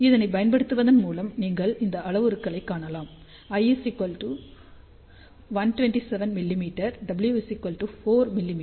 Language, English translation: Tamil, So, by using that you can see the parameters here l is 127 mm w is 4 mm